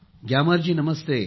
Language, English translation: Marathi, Gyamar ji, Namaste